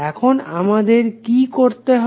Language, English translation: Bengali, Now what we have to do